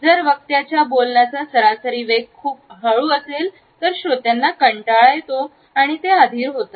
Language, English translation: Marathi, If the speaker’s average speed is very slow, the listener becomes bored and impatient